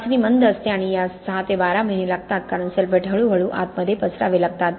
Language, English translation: Marathi, Test is slow takes 6 to 12 months, okay because sulphates have to slowly diffuse inwards